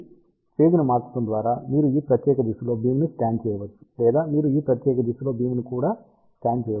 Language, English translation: Telugu, So, by changing the phase you can scan the beam in this particular direction or you can also scan the beam in this particular direction